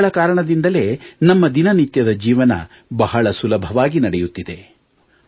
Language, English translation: Kannada, These are people due to whom our daily life runs smoothly